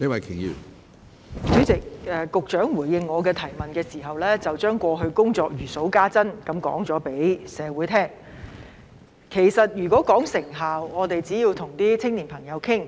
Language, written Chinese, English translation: Cantonese, 主席，局長在回應我的質詢時，將過去的工作如數家珍般告訴社會，如果要說成效，只要跟青年朋友討論便知道。, President in his reply to my question the Secretary told the community as if recounting the work done in the past that if we wanted to talk about the effectiveness we only had to discuss it with young people and we would know